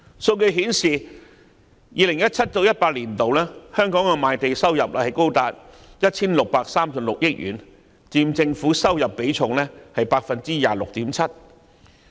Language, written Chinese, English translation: Cantonese, 數據顯示 ，2017-2018 年度，香港的賣地收入高達 1,636 億元，佔政府收入比重 26.7%。, Statistics show that in 2017 - 2018 Hong Kongs land sale revenue amounted to as much as 163.6 billion representing 26.7 % of the Governments income